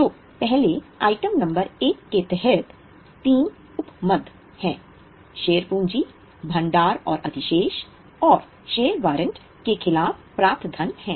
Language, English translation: Hindi, Okay, so under item number one, there are three sub items, share capital, reserves and surplus and money received against share warrant